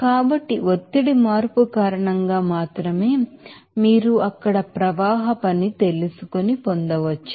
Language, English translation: Telugu, So only that because of pressure change that you can get that you know flow work there